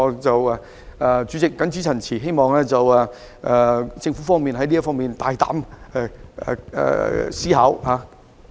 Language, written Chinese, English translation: Cantonese, 主席，我謹此陳辭，希望政府在這方面可以大膽思考。, With these remarks President I hope that the Government can embrace bold thinking in this regard